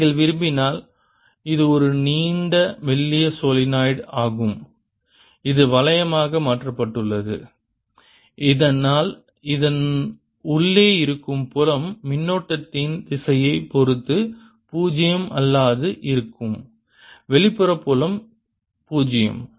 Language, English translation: Tamil, this is a long, thin solenoid which has been turned into around ring so that the field inside this is non zero, depending on the direction of the current outside field is zero